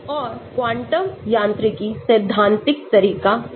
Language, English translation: Hindi, And Quantum mechanics is theoretical approach